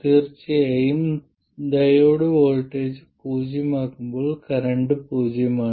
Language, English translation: Malayalam, And of course it is a current is 0 when the diode voltage is 0